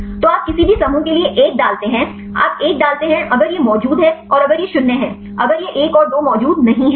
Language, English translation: Hindi, So, you put 1 for any groups, you put 1; if it is present and if it is 0, if it is not present 1 and 2